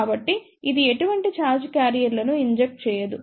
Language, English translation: Telugu, So, it does not inject any charge carriers